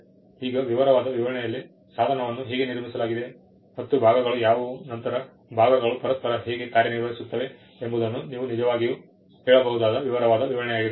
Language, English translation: Kannada, Now, in the detailed description, you will actually tell how the device is constructed, what are the parts, how the parts work with each other